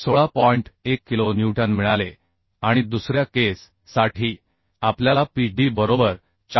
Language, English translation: Marathi, 1 kilonewton and for second case we got Pd is equal to 410